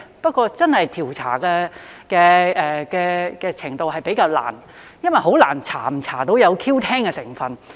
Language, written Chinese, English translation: Cantonese, 不過，調查真是比較難，因為很難調查是否有 Q10 的成分。, But it is relatively difficult to conduct an investigation because it is very hard to find out whether they contain Q10